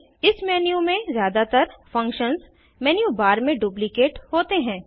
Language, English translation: Hindi, Most of the functions in this menu are duplicated in the menu bar